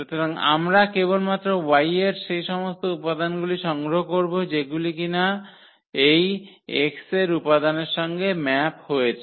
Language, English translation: Bengali, So, we will collect all only those elements of y which are the map of some elements from this X ok